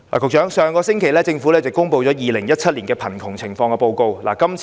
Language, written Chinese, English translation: Cantonese, 局長，政府上星期公布了《2017年香港貧窮情況報告》。, Secretary the Government released the Hong Kong Poverty Situation Report 2017 last week